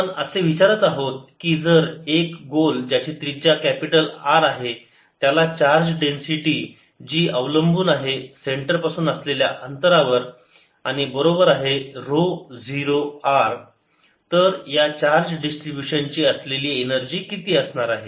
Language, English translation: Marathi, next, question, number four: we are asking: if a sphere of capital radius r has a charge density which depends on the rate distance from the centre and is equal to rho, zero r, then what will be the energy of this charge distribution